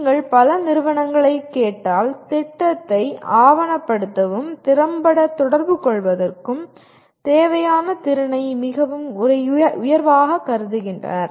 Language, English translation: Tamil, But if you look at if you ask many companies, they consider this ability to document plan and communicate effectively fairly at the top